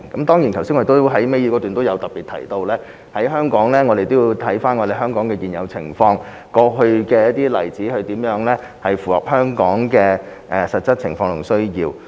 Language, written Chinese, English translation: Cantonese, 當然，我剛才在倒數第二段也特別提及，我們必須審視香港的現有情況和過去的例子，看看如何能符合香港的實質情況和需要。, Of course as I also said in particular in the second last paragraph of my reply earlier it is necessary to examine the current situation of Hong Kong and past examples to see how the actual circumstances and needs of Hong Kong can be met